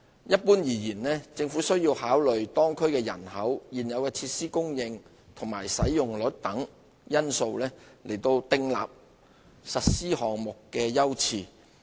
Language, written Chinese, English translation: Cantonese, 一般而言，政府需要考慮當區人口、現有設施供應和使用率等因素，訂立實施項目的優次。, Generally speaking the Government will take into account the local population provision and utilization of existing facilities and so on in determining the priorities of project implementation